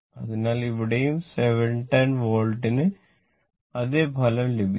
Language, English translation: Malayalam, So, here also 710 watt you will get the same result